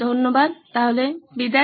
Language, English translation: Bengali, Thank you then, bye